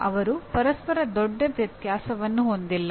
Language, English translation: Kannada, They are not at great variance with each other